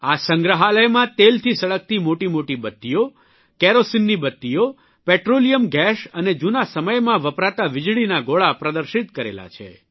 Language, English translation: Gujarati, Giant wicks of oil lamps, kerosene lights, petroleum vapour, and electric lamps that were used in olden times are exhibited at the museum